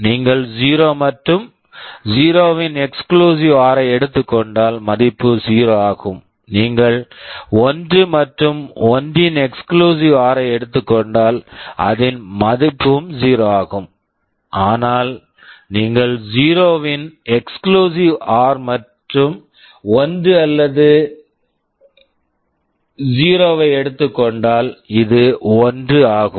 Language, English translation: Tamil, Equality means exclusive or; if you take the exclusive OR of 0 and 0 the result is 0, if you take exclusive OR of 1 and 1, that is also 0, but if you take exclusive OR of 0 and 1 or 1 and 0, this is 1